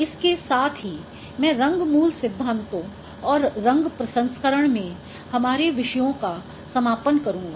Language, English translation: Hindi, So, with this I will be concluding our topics on in color fundamentals and color processing